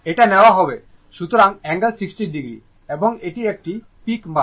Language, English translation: Bengali, This we will taken; so angle 60 degree and this is a peak value